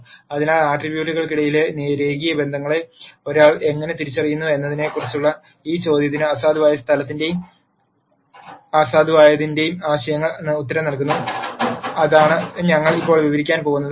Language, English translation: Malayalam, So, this question of how does one identify the linear relationships among attributes, is answered by the concepts of null space and nullity which is what we going to describe now